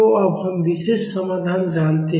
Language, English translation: Hindi, So, now, we know the particular solution